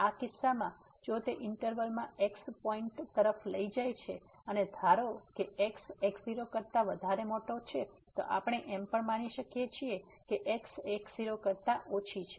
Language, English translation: Gujarati, So, in this case if it take to point in the interval and suppose that is bigger than we can also assume that is less than